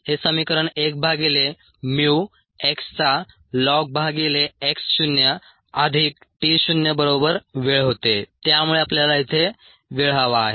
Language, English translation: Marathi, the equation was this: one by mu lon of x by x naught plus t zero equals, equals the t time